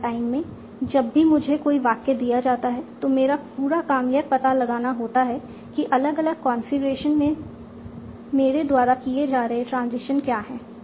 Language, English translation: Hindi, At runtime, whenever I am given a sentence, my whole task is to find out what are the transitions I should be taking at different configuration